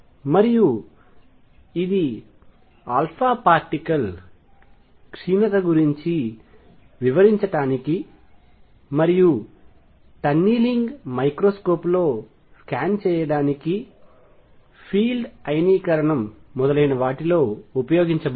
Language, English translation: Telugu, And this has been used to explain alpha particle decay and to make scan in tunneling microscope use it in field ionization and so on